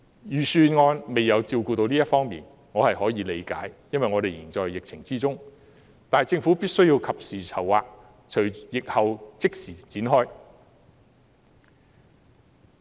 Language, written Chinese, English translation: Cantonese, 預算案並未照顧到這方面，我可以理解，因為我們尚在疫情之中，但政府必須及時籌劃，並在疫後即時行動。, The Budget did not address this aspect . I can understand it because we are still dealing with the epidemic . However the Government must make timely preparations and take immediate action after the epidemic